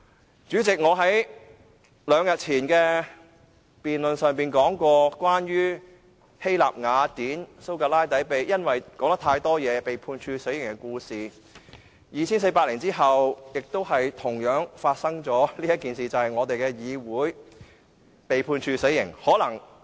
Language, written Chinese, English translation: Cantonese, 代理主席，我在兩天前的辯論說過關於希臘雅典蘇格拉底因為說話太多而被判處死刑的故事 ，2,400 年後亦同樣發生這件事，就是我們的議會被判處死刑。, Deputy President during the debate two days ago I talked about the story of SOCRATES in Athens Greece who had been sentenced to death for talking too much . After 2 400 years the same thing happened again when the Council has been sentenced to death